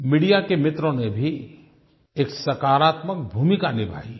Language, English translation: Hindi, Friends in the media have also played a constructive role